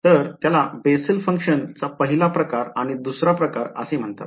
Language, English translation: Marathi, So these are called Bessel functions of the first kind and of the second kind ok